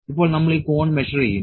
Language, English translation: Malayalam, Now, we will measure this cone